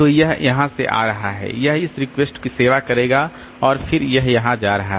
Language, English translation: Hindi, So, it will be coming from here, it will serve this request and then it will be going there